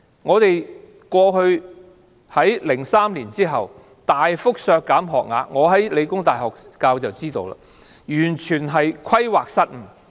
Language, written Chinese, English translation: Cantonese, 在2003年之後，政府大幅削減學額，我在香港理工大學任教，所以知道，政府完全規劃失誤......, The Government slashed school places in the years after 2003 . I taught at The Hong Kong Polytechnic University . That is why I know